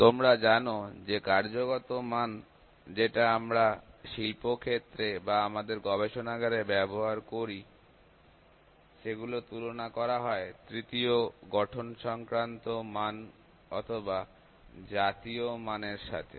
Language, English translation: Bengali, You know the working standards those we have using in the industry or in our laboratories; those are compared with the tertiary standards or national standards